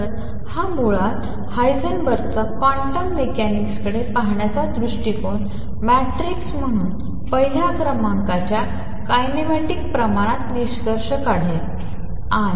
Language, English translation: Marathi, So, this is basically Heisenberg’s approach to quantum mechanics will conclude number one express kinematic quantities as matrices